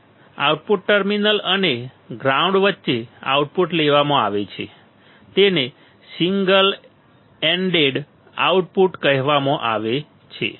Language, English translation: Gujarati, Now, the output is taken between the output terminal and ground is called single ended output